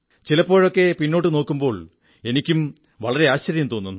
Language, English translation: Malayalam, At times, when I look back, I am taken aback